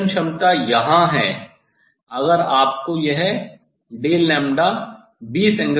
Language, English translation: Hindi, if resolving power is here, if you get this del lambda 20 Angstrom